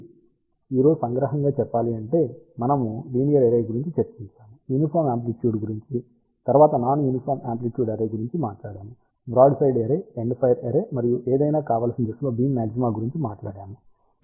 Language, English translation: Telugu, So, just to summarize today we discussed about linear array, we talked about uniform amplitude followed by non uniform amplitude array, we also talked about broadside array, endfire array, and the beam maxima in any desired direction